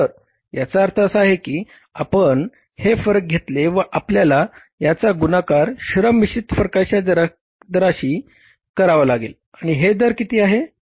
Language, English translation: Marathi, So, it means if you take this variance and you have to multiply it with something like the rate, labour mix variance and what is the rate